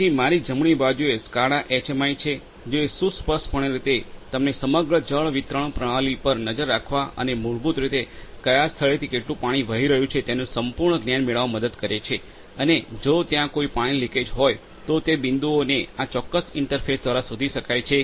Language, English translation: Gujarati, So, on my right is basically the SCADA HMI which basically helps you to graphically have a look at the entire water distribution system and basically to have complete knowledge of from which point how much water is flowing through and also if there is any leakage at any of the points that also can be detected through this particular interface